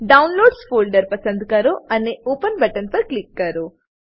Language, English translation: Gujarati, Select Downloads folder and click on open button